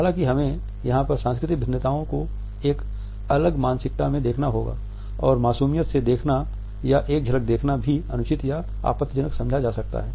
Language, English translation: Hindi, However, we have to look at the cultural differences here in a different mindset and innocent looking at or a glaring can also be interpreted as improper or offensive